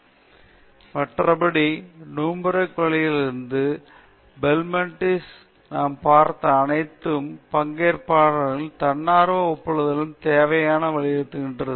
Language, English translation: Tamil, Again, all these things which we have seen right from Nuremberg trail to Belmont, all of them emphasized the need for voluntary consent from participants